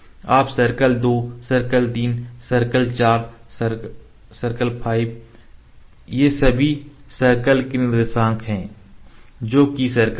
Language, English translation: Hindi, Then we circle the circle two circle three circle 4 circle 5 all these circles the coordinates of the circles which the